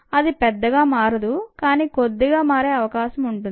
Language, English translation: Telugu, it's not change much, but it has changed a little bit